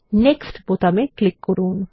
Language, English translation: Bengali, Next click on the Finish button